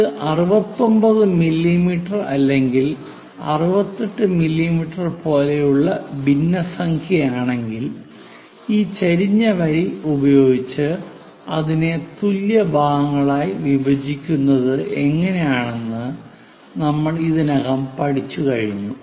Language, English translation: Malayalam, If it is fraction something like 69 mm 68 mm we have already seen how to divide into number of equal parts by using this inclined line and constructing it